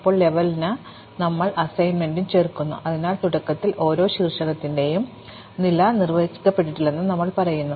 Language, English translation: Malayalam, Now, we also add the assignment for level, so we say initially the level of each vertex is undefined